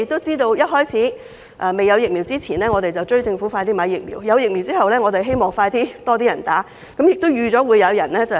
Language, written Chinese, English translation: Cantonese, 在早前未有疫苗時，我們敦促政府盡快購買疫苗；有疫苗後，我們希望盡快會有更多人接種，但亦預計會有人抹黑。, Previously when Hong Kong had no supply of vaccines we urged the Government to make purchases promptly; now that vaccines are available we urge members of the public to receive vaccination as soon as possible albeit the expected smear attempts